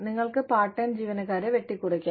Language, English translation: Malayalam, You could cut, part time employees